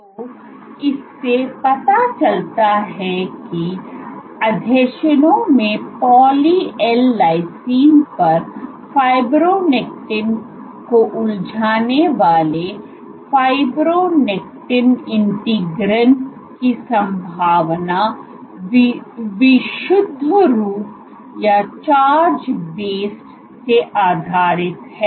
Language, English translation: Hindi, So, possibility in fibronectin integrins engage fibronectin, on poly L lysine in adhesion is purely charged based